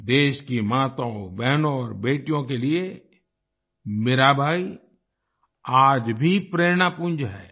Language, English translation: Hindi, Mirabai is still a source of inspiration for the mothers, sisters and daughters of the country